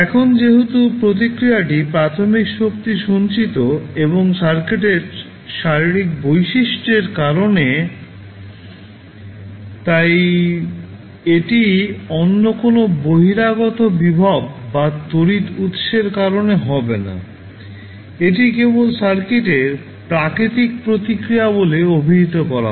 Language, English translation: Bengali, Now, since, the response is due to the initial energy stored and physical characteristic of the circuit so, this will not be due to any other external voltage or currents source this is simply, termed as natural response of the circuit